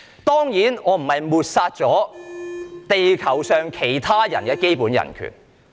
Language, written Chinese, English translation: Cantonese, 當然，我不是想抹煞地球上其他人的基本人權。, Of course I am not trying to deny the basic human rights of other people on Earth